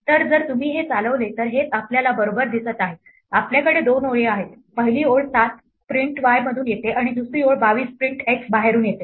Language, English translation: Marathi, So, if you run this indeed this is what we see right we have two lines, the first 7 comes from print y and the second level 22 comes from print x outside